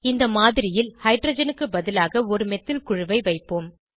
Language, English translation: Tamil, We will substitute the hydrogen in the model with a methyl group